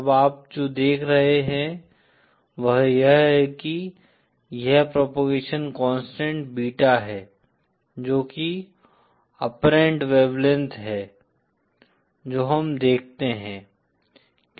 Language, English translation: Hindi, Now what you see is that this propagation constant Beta, which is the, which is kind of the apparent wave length that we observe